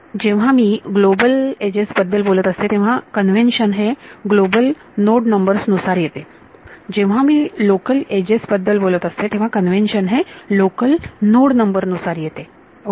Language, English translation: Marathi, When I talk about global edges, the convention comes from global node numbers when I talk about local edges the convention comes from local node numbers ok